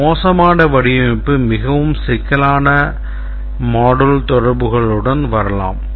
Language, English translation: Tamil, A bad design can come up with a very complex set of module interactions